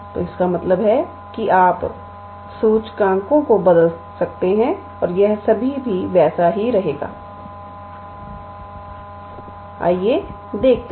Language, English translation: Hindi, So, that means, you can switch the indices and it will still remain the same, let us see